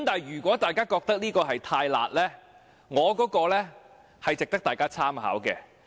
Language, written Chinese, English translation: Cantonese, 如果大家覺得這項修正案"太辣"，我的修正案值得大家參考。, If Members find his amendment too harsh my amendment is worth considering